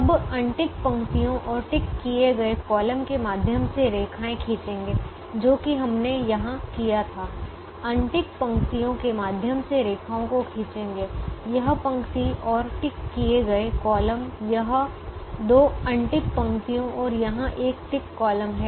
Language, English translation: Hindi, now draw lines through unticked rows and unticked columns, which is what we did here: draw a lines through unticked rows, draw a lines through unticked rows this row and ticked columns this two unticked rows and here is a ticked column